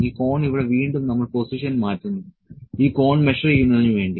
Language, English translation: Malayalam, This cone here again we will change the position to measure this cone